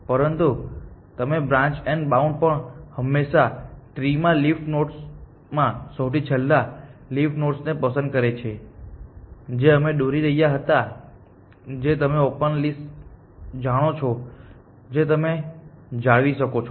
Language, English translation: Gujarati, We dint use this terminology in branch and bound, but you can see that branch and bound also always picks the lowest nodes in lowest leaf in the tree that we were drawing which is like you know open list that you can maintain